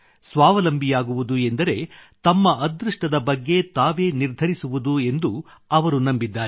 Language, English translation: Kannada, He believes that being selfreliant means deciding one's own fate, that is controlling one's own destiny